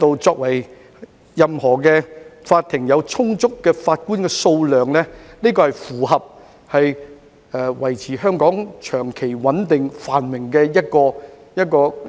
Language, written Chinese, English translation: Cantonese, 只要法庭的法官數量充足，便會符合維持香港長期穩定繁榮的論調及原則。, Securing a sufficient number of judges in CFA is in line with the notion and principle of maintaining Hong Kongs long - term stability and prosperity